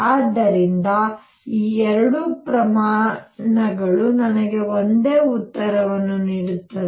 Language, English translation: Kannada, So, both both these quantities will give me exactly the same answer